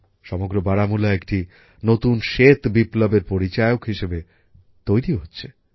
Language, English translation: Bengali, The entire Baramulla is turning into the symbol of a new white revolution